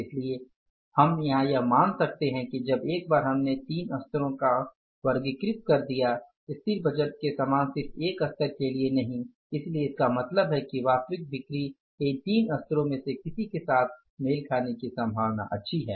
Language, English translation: Hindi, So, we can assume here that once we have created the budget for three levels, not for one level only unlike the static budget, so means it is quite likely that actual sales may coincide with any of the three levels